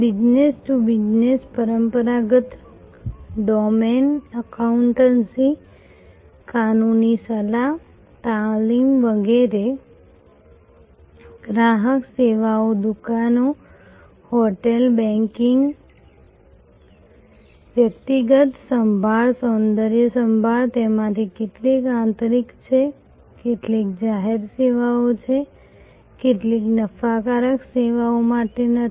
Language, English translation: Gujarati, Business to business, traditional domain, accountancy, legal advice, training, etc, consumer services, shops, hotels, banking, personal care, beauty care, some of them are internal, some are public services, some are not for profit services